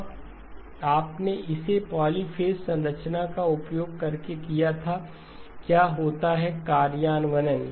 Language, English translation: Hindi, Now had you done it using the polyphase structure, what would have been the implementation